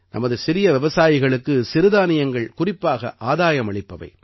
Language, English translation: Tamil, For our small farmers, millets are especially beneficial